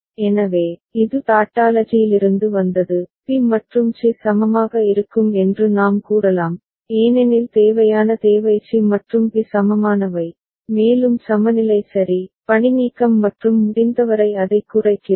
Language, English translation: Tamil, So, this is from Tautology we can say b and c will be equivalent because the necessary requirement is c and b are equivalent and we are looking for equivalence ok, redundancy and minimizing it to the extent possible